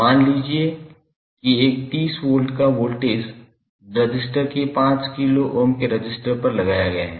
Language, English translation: Hindi, That is supposed a 30 volt voltage is applied across a resistor of resistance 5 kilo Ohm